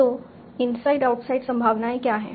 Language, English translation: Hindi, So, what is inside outside probabilities